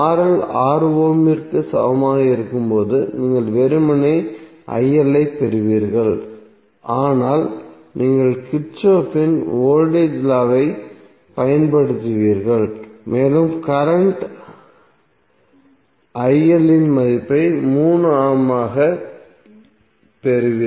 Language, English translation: Tamil, When RL is equal to 6 ohm you will simply get IL is nothing but you will simply apply Kirchhoff’s voltage law and you will get the value of current IL as 3A